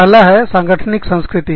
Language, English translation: Hindi, The first one is organizational culture